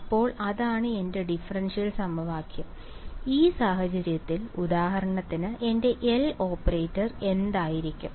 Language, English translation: Malayalam, So that is my differential equation, so in this case for example, what will my L operator be